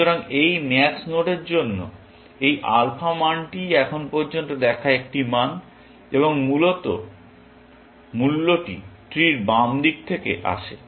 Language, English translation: Bengali, So, this alpha value for this max node is the value it has seen so far, and the value comes from the left hand side of the tree, essentially